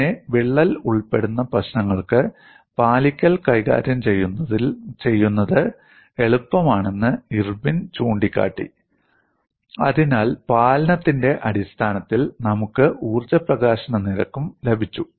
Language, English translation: Malayalam, Then, for the problems involving crack, Irwin pointed out compliance is easier to handle; so, we also got the energy release rate in terms of compliance